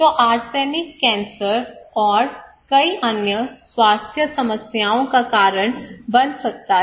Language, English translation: Hindi, So arsenic can cause cancer and many other health problems